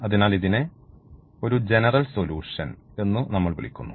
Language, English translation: Malayalam, So, therefore, we are calling it has the general solution